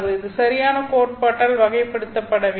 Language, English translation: Tamil, It is not characterized by any proper theory